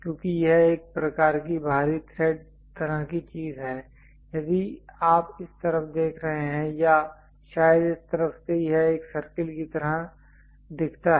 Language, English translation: Hindi, Because its a thread kind of thing external thread, if you are looking from this side or perhaps from this side it looks like a circle